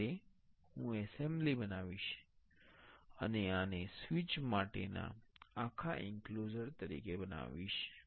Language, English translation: Gujarati, Now, I will make an assembly and make this as a total enclosure for the switch